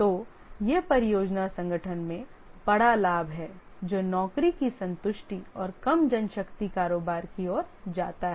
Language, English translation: Hindi, So this is a big advantage in the project organization leads to job satisfaction and less manpower turnover